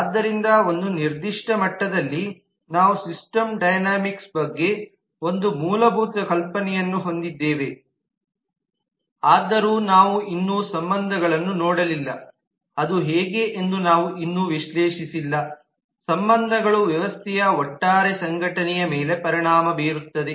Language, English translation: Kannada, so at a certain level we have a basic notion about the system dynamics though we have not yet looked at relationship we have not yet analyzed how those relationships will impact the overall organization of the system